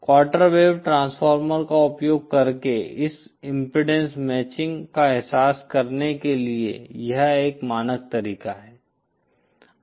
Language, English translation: Hindi, This is this is a standard way to realize this impedance matching using a quarter wave transformer